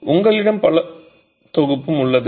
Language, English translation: Tamil, So, you have an entire spectrum